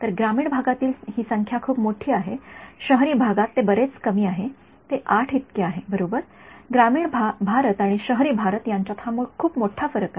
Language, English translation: Marathi, So, that number in rural areas is very large, 66, in urban areas it is much less it is 8 right, it is a huge difference between rural India and urban India and